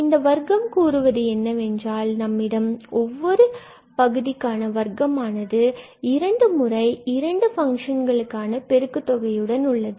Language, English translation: Tamil, So, this square says that we have the square of each and 2 times the multiplication of the two functions